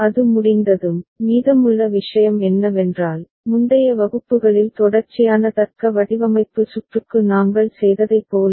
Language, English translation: Tamil, Once that is done, rest of the thing is as we have done in the earlier classes for sequential logic design circuit ok